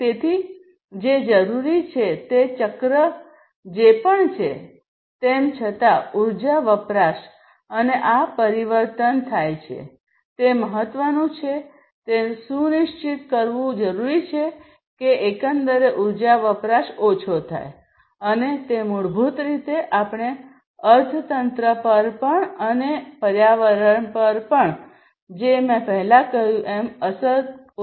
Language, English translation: Gujarati, So, what is required is whatever be the cycle, however, the energy consumption and this transformation takes place, whatever be it what is important is to ensure that there is reduced energy consumption overall and that basically we will also have an impact on the economy and the environment as I said earlier